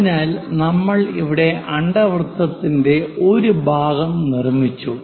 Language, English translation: Malayalam, So, we have constructed part of the ellipse here